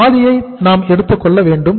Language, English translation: Tamil, We have to take half of this